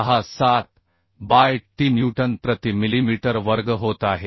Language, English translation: Marathi, 67 by t Newton per millimetre square